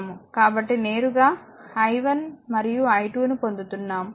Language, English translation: Telugu, So, directly you are getting that i 1 and i 2